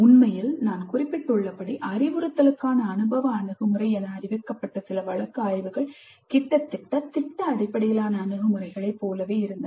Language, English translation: Tamil, In fact as I mentioned some of the case studies reported as experiential approach to instruction almost look like project based approaches